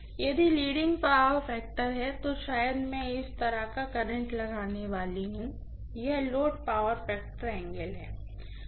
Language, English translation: Hindi, If it is leading power factor, I am probably going to have a current like this, this is the load power factor angle